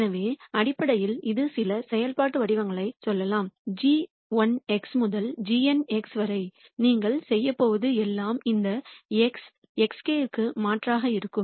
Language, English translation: Tamil, So, basically this is going to be let us say some functional form minus g 1 x all the way up to g n x all you are going to do is simply substitute for this x, x k